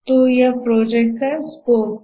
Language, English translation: Hindi, So, this is the project scope